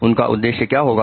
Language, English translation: Hindi, What was his purpose